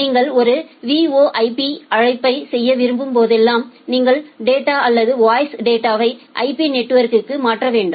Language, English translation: Tamil, Say whenever you want to make a VoIP call to make a VoIP call you have to transfer the data or the voice data over the IP network